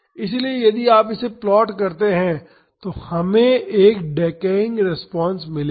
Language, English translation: Hindi, So, if you plot this we would get a decaying response